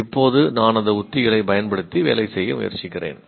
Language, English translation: Tamil, I am trying to use those strategies